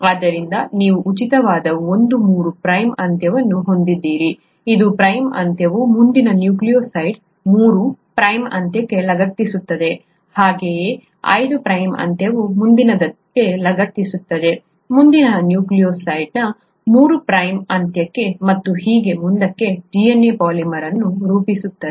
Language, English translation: Kannada, So you have one three prime end that is free, the five prime end attaches to the three prime end of the next nucleotide, similarly the five prime end attaches to the next, to the three prime end of the next nucleotide and so on and so forth to form the polymer of DNA